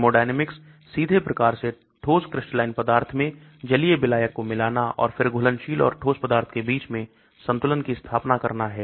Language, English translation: Hindi, Thermodynamic, the addition of an aqueous solvent directly to solid crystalline material and then establishment of equilibrium between dissolved and solid material